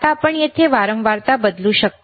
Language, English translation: Marathi, Now, you can you can change the frequency here